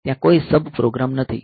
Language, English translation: Gujarati, So, there is no sub program